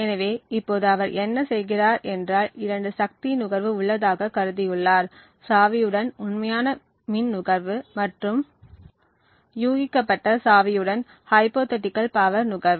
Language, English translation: Tamil, So now what he does, he has, these two power consumptions, the actual power consumption with the real key and the hypothetical power consumption with the guessed key